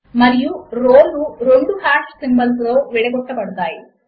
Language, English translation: Telugu, And the rows are separated by two hash symbols